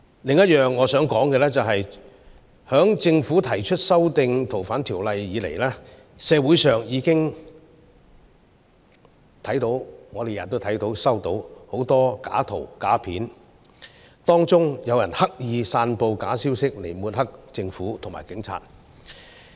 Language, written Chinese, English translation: Cantonese, 此外，我想說的是，自政府提出修訂《2019年逃犯及刑事事宜相互法律協助法例條例草案》以來，我們每天都接收到很多假圖、假片段，當中有人刻意散布假消息，藉此抹黑政府和警察。, Moreover I wish to say that since the Government proposed the Fugitive Offenders and Mutual Legal Assistance in Criminal Matters Legislation Amendment Bill 2019 we have received many fake images and fake video clips every day . Some people deliberately disseminate fabricated news to smear the Government and the Police